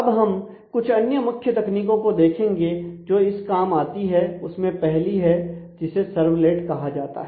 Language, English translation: Hindi, Next let us look into some of the core technologies that are involved the first technology is called a servlet